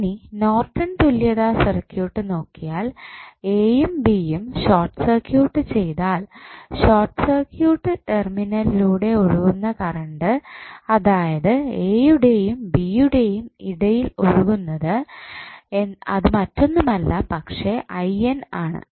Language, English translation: Malayalam, Now, if you see the Norton's equivalent circuit now if you short circuit a and b the current flowing through the short circuit terminal that is between a, b would be nothing but I N why